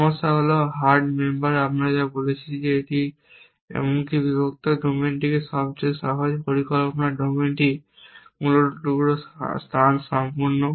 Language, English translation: Bengali, The problem is hard member we said that even the split domain the simplest planning domain is piece space complete essentially